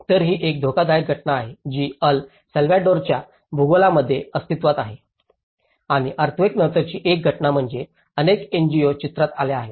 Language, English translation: Marathi, So, this is a multiple hazard phenomenon which existed in El Salvador geography and one is after the earthquake obviously, with many NGOs come into the picture